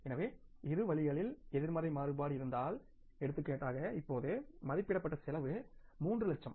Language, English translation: Tamil, If there is a negative variance, for example, now the cost estimated was 3 lakhs